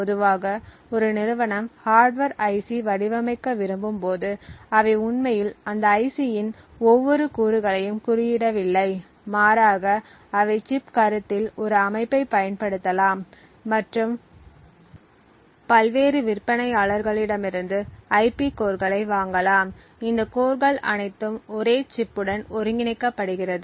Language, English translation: Tamil, Typically when a company wants to design a hardware IC, they do not actually code every single component of that IC, but rather they would use a system on chip concept and purchase IP cores from several different vendors and then integrate all of these cores within a single chip